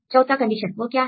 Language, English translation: Hindi, Fourth condition, so what is the fourth condition